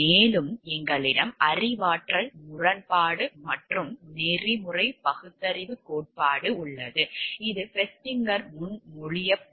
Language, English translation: Tamil, And we have cognitive dissonance and ethical reasoning theory so, which is proposed by Festinger